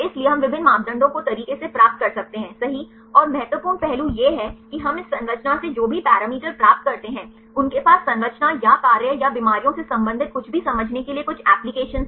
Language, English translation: Hindi, So, we can derive various parameters right and the important aspect is whatever the parameter we derive from this structures, they have some applications to understand the structure or function or anything related with diseases